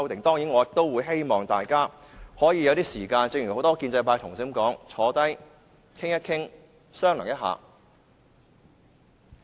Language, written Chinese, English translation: Cantonese, 當然，我也希望大家可以有時間討論，正如很多建制派同事所說，大家坐下來，討論商量一下。, Certainly I hope that Members can have time to discuss these issues . As many pro - establishment Members said let us sit down and discuss the matter